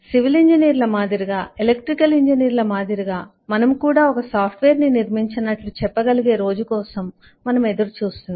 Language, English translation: Telugu, we look forward to a day when, like civil engineers, electrical engineers will be able to say that we have constructed a software